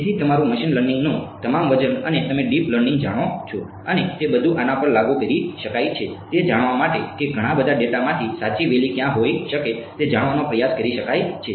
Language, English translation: Gujarati, So, all your weight of machine learning and you know deep learning and all of that can be applied to this to try to learn where might be the correct valley from a lot of data to tell you where to land up in ok